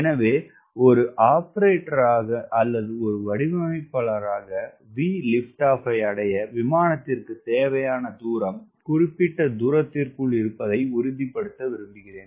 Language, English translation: Tamil, so as an operator or as a designer, i would like this distance required to ensure the aircraft achieves we lift off within the specified distance